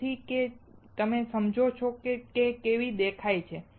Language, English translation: Gujarati, So, that you understand how it looks like